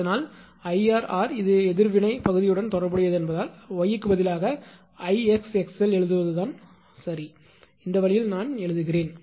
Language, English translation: Tamil, So, I r into r as it is related to reactance part, so instead of y I am writing I x into x l right; this way I am writing